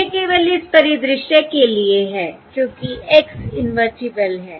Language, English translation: Hindi, This is only for this scenario, because x is invertible